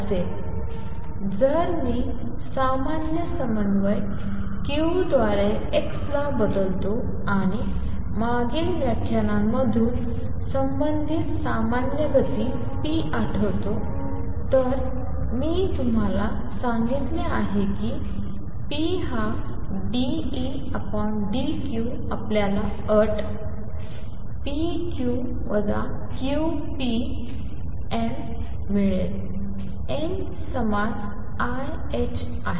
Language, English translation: Marathi, Generalizing this if I replace x by general coordinate q and corresponding general momentum p recall from previous lectures, I have told you that p is d E d q we get the condition to be p q minus q p n, n equals i h cross